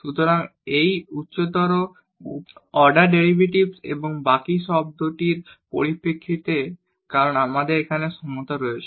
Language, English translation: Bengali, So, in terms of the these higher order derivatives plus the remainder term because we have the equality here